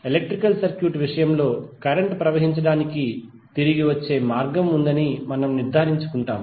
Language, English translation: Telugu, While in case of electrical circuit we make sure that there is a return path for current to flow